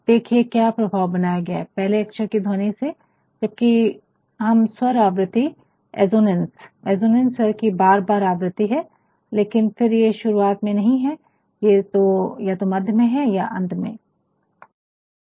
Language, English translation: Hindi, Now, look at the effect this effect is created on the first letter of the sound whereas, when you talk about assonance, assonance since the repetition of the vowel sound, but then it is not in the beginning, it is either in the middle or in the end of words